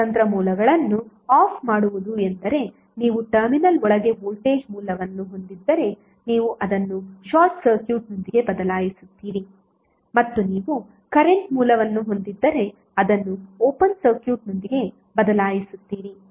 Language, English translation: Kannada, Turning off the independent sources means if you have the voltage source inside the terminal you will replace it with the short circuit and if you have current source you will replace it with the open circuit